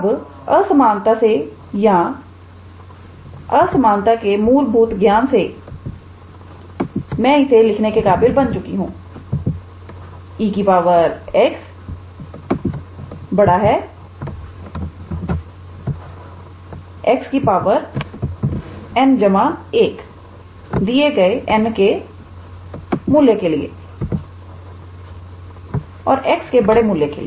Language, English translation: Hindi, Now, from inequality or from our basic knowledge of inequalities I can be able to write e to the power x is greater than x to the power n plus 1 for given n and for large value of x